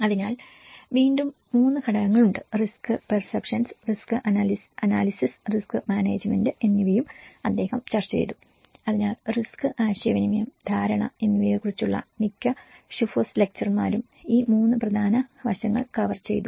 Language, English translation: Malayalam, So, then again there are 3 components, which he also discussed was risk perception, risk analysis and the risk management so this is what most of the Shubhos lecturer on risk and also the communication, the perception, he covered these 3 important aspects